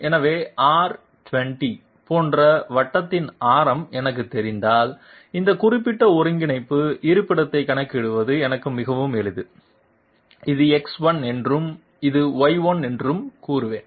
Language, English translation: Tamil, So if I know the radius of the circle like R 20 it is very, it is extremely simple for me to calculate this particular coordinate location, I will say this is X 1 and this is Y 1